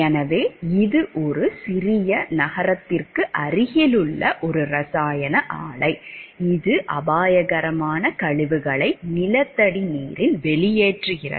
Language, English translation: Tamil, So, please note it is a chemical plant near a small city that discharges the hazardous waste into the groundwater